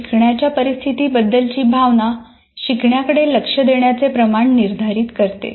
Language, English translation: Marathi, So how a person feels about learning situation determines the amount of attention devoted to it